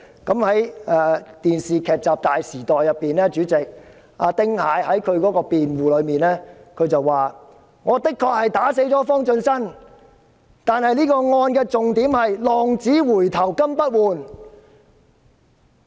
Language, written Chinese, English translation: Cantonese, 在電視劇集"大時代"中，丁蟹為自己辯護時說："我的確打死了方進新，但這宗案件的重點是'浪子回頭金不換'！, In the television drama The Greed of Man Ting Hai said in defence of himself I did beat FONG Chun - sun to death but the focal point of this case is a prodigal who returns is more precious than gold